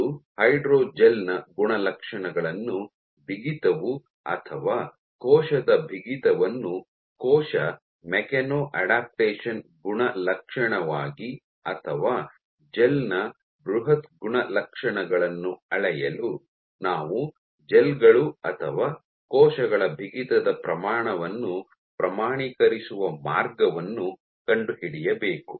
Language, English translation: Kannada, And to either measure the properties of the hydrogel that is stiffness or the cell stiffness as an attribute of cell mechano adaptation or the bulk properties of the gel, we have to find a way of quantifying stiffness of gels or cells